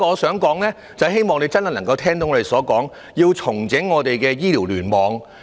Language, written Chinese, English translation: Cantonese, 此外，我希望局長能聽取我們的意見，重整醫院聯網。, Besides I hope that the Secretary will act on our advice to reorganize the hospital clusters